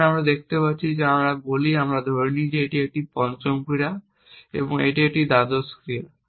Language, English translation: Bengali, Now we can see as I say that let us assume this is the fifth action and this is the twelfth action